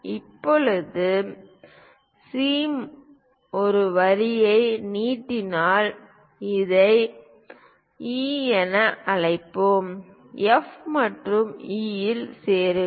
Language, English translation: Tamil, Now, from C extend a line it goes call this one as E; join F and E